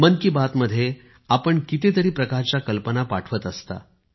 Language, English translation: Marathi, You send ideas of various kinds in 'Mann Ki Baat'